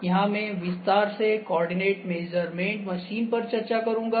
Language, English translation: Hindi, This I will discuss in detail coordinate measuring machine